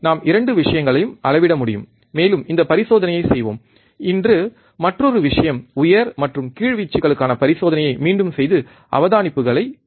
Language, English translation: Tamil, We can measure both the things, and let us do this experiment, today another thing is repeat the experiment for higher and lower amplitudes and note down the observations